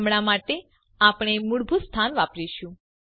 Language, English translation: Gujarati, For now well use the default location